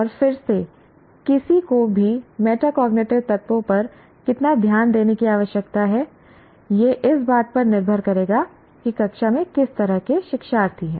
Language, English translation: Hindi, And again, how much attention one needs to pay to metacognitive elements will depend on the kind of learners that a teacher has in the class